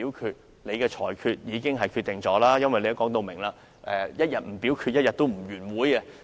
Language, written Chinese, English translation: Cantonese, 其實，你的裁決已經決定一切，因為你表明一天不表決，一天不會結束會議。, Actually your ruling has determined everything as you made it clear that the meeting would not be concluded so long as the voting is not conducted